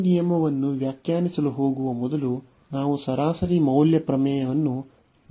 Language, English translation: Kannada, So, before we go to define this rule discuss this rule, we need to recall the mean value theorems